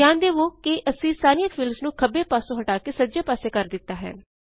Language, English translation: Punjabi, Notice that, we have moved all the fields from the left to the right